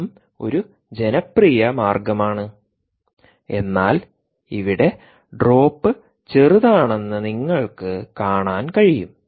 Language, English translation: Malayalam, this is also a popular way, ah, yet you can see that the drop here is not significant